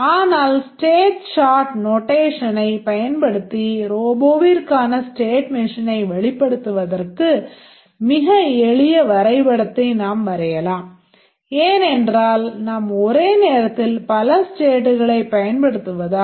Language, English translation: Tamil, But using the state chart notation we can draw a very simple diagram to represent this the state machine for the robot because we will use the concurrent states and the number of states will drastically come down to only a few